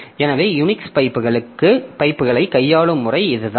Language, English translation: Tamil, So, this is the way Unix handles the pipes